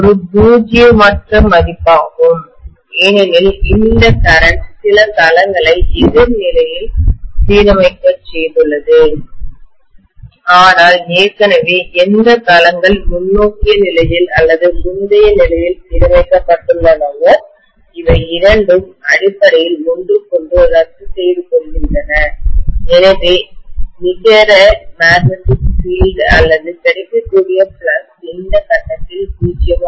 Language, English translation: Tamil, The current is a non zero value because this current has made some of the domains to align in the opposite sense but already whichever domains have been aligned in the forward sense or the previous sense, both of them essentially cancel out with each other, so the net magnetic field or flux available becomes a 0 at this point